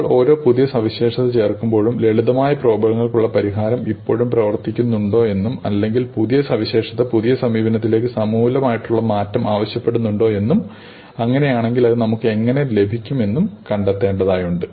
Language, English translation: Malayalam, And each time you add a new feature, you have to see whether the solution that you have for the simpler problem still works or whether the new feature demands a radically new approach and if so how you should get that